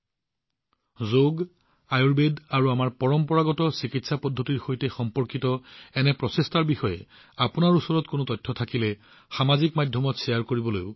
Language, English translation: Assamese, I also urge you that if you have any information about such efforts related to Yoga, Ayurveda and our traditional treatment methods, then do share them on social media